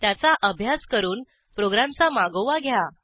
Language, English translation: Marathi, Analyse and trace the flow of the program